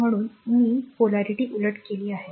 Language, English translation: Marathi, So, I have reverse the polarity